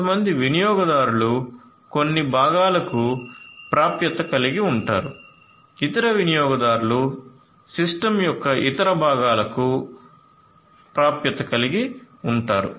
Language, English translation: Telugu, Certain users are going to have access to certain components other users are going to have access to the other components of the system and so on